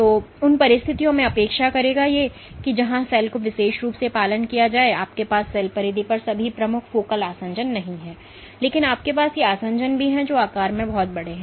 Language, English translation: Hindi, One would expect in circumstances where the cell is supposed to be strongly adherent as in this particular case, you not only have prominent focal adhesions all over the cell periphery, but you also have these adhesions which are pretty big in size